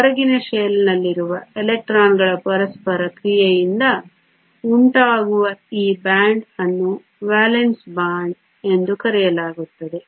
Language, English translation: Kannada, This band which is caused by which is caused by interaction of the electrons in the outermost shell is called the Valence band